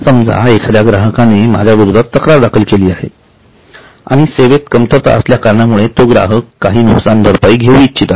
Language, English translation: Marathi, Suppose a customer has filed a complaint against me and wants to take some compensation because of deficiency in service